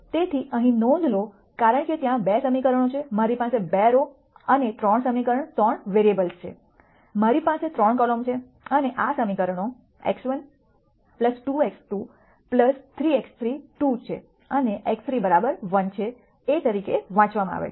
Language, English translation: Gujarati, So, again notice here since there are 2 equations, I have 2 rows and 3 equation 3 variables, I have 3 columns and these equations are read as x 1 plus 2 x 2 plus 3 x 3 is 2 and x 3 equals 1